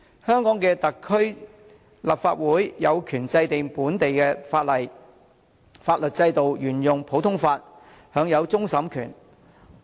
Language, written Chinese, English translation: Cantonese, 香港特區立法會有權制定本地的法例，法律制度沿用普通法，享有終審權。, The Legislative Council of the SAR has the power to enact local laws . Hong Kong continues to uphold the common law system and enjoys the right of final appeal